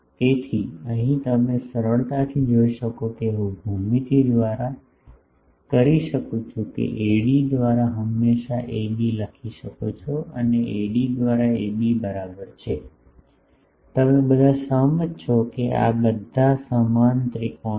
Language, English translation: Gujarati, So, here you can see easily that I can from geometry I can always write AB by AD is equal to AB by AD you all agree that these are all similar triangles